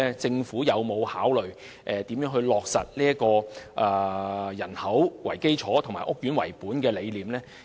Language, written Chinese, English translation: Cantonese, 政府有否考慮如何落實"以人口為基礎"及"屋苑為本"的理念？, Has the Government considered how to implement the population - based and estate - based concepts?